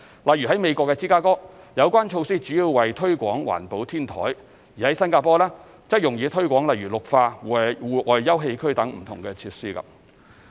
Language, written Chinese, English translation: Cantonese, 例如在美國芝加哥，有關措施主要為推廣環保天台，而在新加坡，則用以推廣例如綠化、戶外休憩區等的不同設施。, For example in Chicago of US the measures concerned are mainly adopted to promote green roofs while those adopted in Singapore seek to promote various features such as greening and outdoor sitting out areas